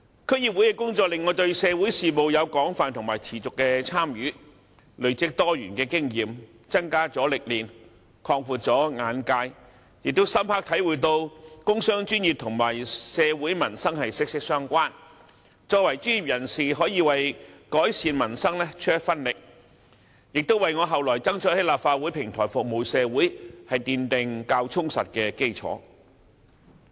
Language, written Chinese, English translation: Cantonese, 區議會的工作令我對社會事務有廣泛和持續的參與，累積多元的經驗，增加了歷練，擴闊了眼界，亦深刻體會到工商專業與社會民生息息相關，作為專業人士可以為改善民生出一分力，亦為我後來爭取在立法會的平台服務社會奠定較充實的基礎。, Through my work in the DC I was able to participate in social affairs extensively and persistently from which I have accumulated diversified experience enriched my exposure and broadened my horizons . It also enabled me to deeply understand that the business and professional sectors are inextricably linked with society and the peoples livelihood and that professionals can make contribution to the improvement of the peoples lot . This has laid a more solid foundation for me to subsequently strive to serve society through this platform of the Legislative Council